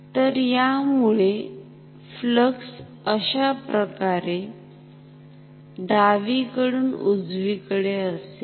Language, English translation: Marathi, So, this is the flux from left to right